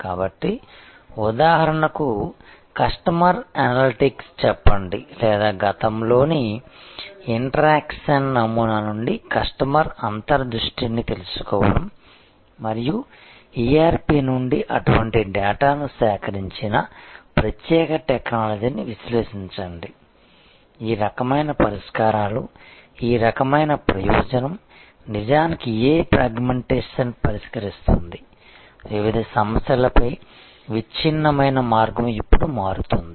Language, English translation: Telugu, So, say for example, customer analytics or knowing developing customer insight from the interaction pattern of the past and the particular technology that extracted such data from the ERP and then analyzed, this kind of fixes, this kind of purpose fixes that actually what fragmentation, fragmented way on different problems are now changing